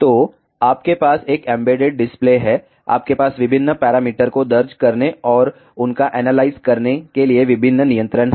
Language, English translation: Hindi, So, you have an embedded display, your various controls to enter and analyze different parameters